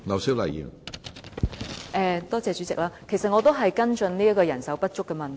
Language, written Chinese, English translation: Cantonese, 主席，其實我也是跟進人手不足的問題。, President in fact I also want to follow up on the question of manpower shortage